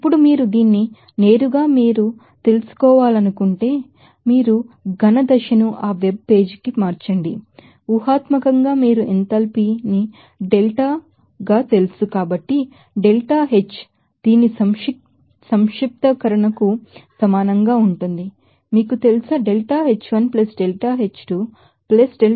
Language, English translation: Telugu, Now, if you want to you know directly convert this you know solid phase to that web page hypothetically it will require total you know enthalpy delta So, delta H will be equal to summation of this, you know, deltaH1 + deltaH2 + deltaH3 + deltaH4 +deltaH5 +deltaH6